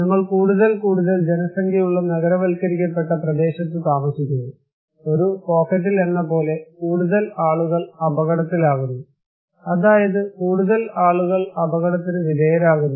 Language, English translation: Malayalam, More urbanized area we are having more and more populations are living there, concentrated in one pocket and more and more people are at risk, that is for sure, more and more people are exposed